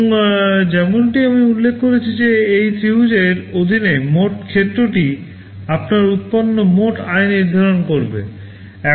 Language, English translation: Bengali, And as I mentioned the total area under this triangle will determine the total revenue that you can generate